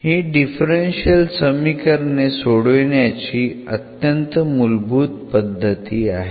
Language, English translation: Marathi, So, this is one of the very basic techniques which we use for solving differential equations